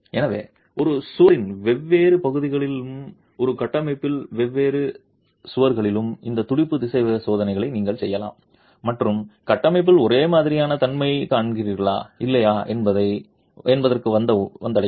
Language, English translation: Tamil, So, you could do these pulse velocity tests on different parts of a wall and different walls in a structure and arrive at whether or not you see homogeneity in the structure